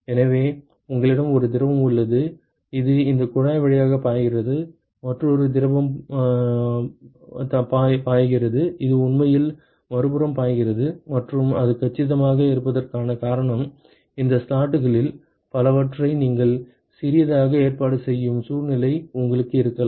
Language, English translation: Tamil, So, you have one fluid, which is flowing through these tube, another flowing fluid which is flowing, which is actually flowing to the other side and the reason why it is compact is you can have a situation where you arrange several of these slots tiny ones and pack them all together